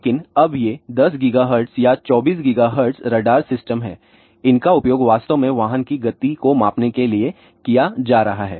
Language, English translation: Hindi, But, now this 10 gigahertz or 24 gigahertz radar systems, these are actually being used to measures speed of the vehicle